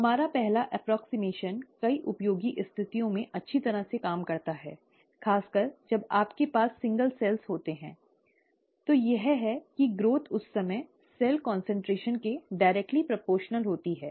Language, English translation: Hindi, Our first approximation that works well in many useful situations, especially when you have single cells, is that the growth is directly proportional to the cell concentration at that time